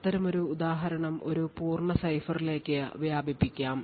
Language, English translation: Malayalam, So this was a toy example and such an example could be extended to a complete cipher